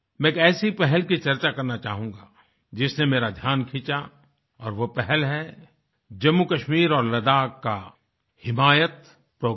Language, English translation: Hindi, I would like to discuss one such initiative that has caught my attention and that is the 'Himayat Programme'of Jammu Kashmir and Ladakh